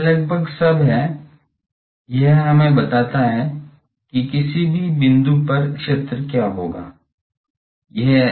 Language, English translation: Hindi, So, that is all almost that it tells us that what will be the field at any point